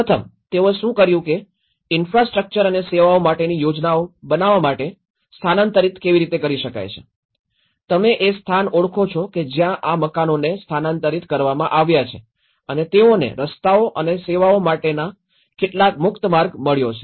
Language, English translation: Gujarati, First, what they did was they identified that could be relocated in order to plan for infrastructure and services because you look at or identified so that is where and these are, these houses have been relocated and they have some passage for roads and services has been freed up